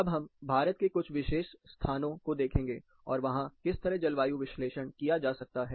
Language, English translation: Hindi, Now let us take a look at specific locations in India, and how climate analysis can be done and presented